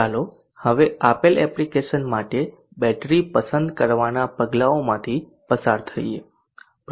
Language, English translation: Gujarati, Let us now go through these steps for selecting the battery for a given application